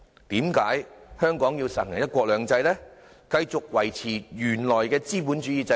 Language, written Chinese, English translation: Cantonese, 為何香港要實行"一國兩制"，繼續維持原來的資本主義制度？, Why does Hong Kong need to implement one country two systems and maintain its original capitalist system?